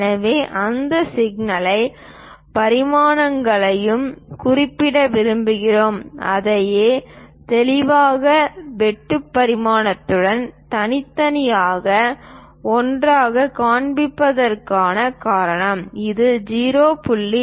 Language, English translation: Tamil, So, we want to really mention those intricate dimensions also that is the reason we are showing it as a separate one with clear cut dimensioning it is having R of 0